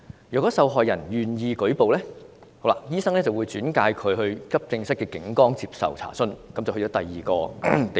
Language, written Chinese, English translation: Cantonese, 若受害人願意舉報，醫生才會轉介到急症室的警崗接受查詢，這便轉到第二個地方。, The doctor will refer the case to the Police posted at AED for inquiry only if the victim agrees to report the case . The victim will then be transferred to another location